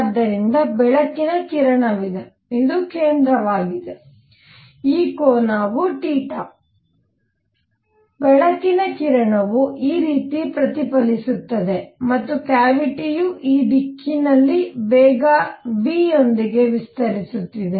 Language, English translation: Kannada, So, there is the light ray which is going this is a centre, this angle is theta, the light ray gets reflected like this and the cavity is expanding in this direction with velocity v